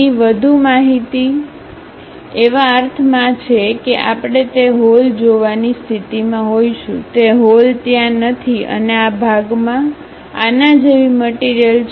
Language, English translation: Gujarati, Here more information in the sense like, we will be in a position to really see that hole, that hole is not there and this portion have the same material as this